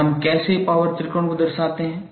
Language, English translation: Hindi, And how we represent power tangle